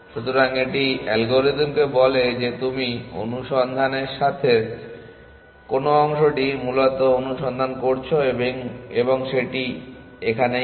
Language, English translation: Bengali, So, it tells algorithm which part of the search space you are searching essentially and this it does